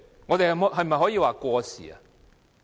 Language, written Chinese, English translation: Cantonese, 我們可否說過時？, Can we call it outdated?